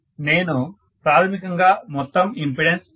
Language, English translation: Telugu, So I am basically talking about the overall impedances 5